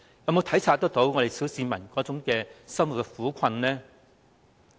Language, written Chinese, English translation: Cantonese, 有否體察小市民生活的苦困？, Do we appreciate the plights of the ordinary masses in living?